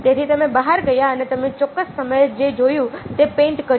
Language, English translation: Gujarati, so you went outside and you painted what you saw at a specific point of time